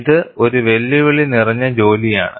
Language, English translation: Malayalam, It is a challenging task